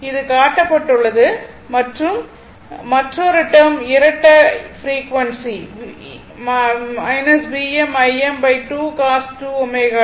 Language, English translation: Tamil, It is shown and another term is double frequency minus V m I m by 2 cos 2 omega t right